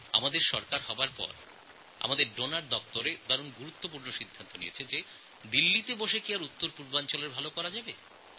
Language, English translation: Bengali, After our government was formed, the DONER Department took an important decision of not staying in Delhi and working from centre for the NorthEast regions